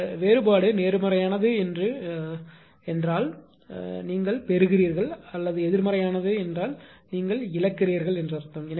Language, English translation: Tamil, If you see that this difference is positive; that means, you are gaining and if you say it is negative means you are what you call you are a loser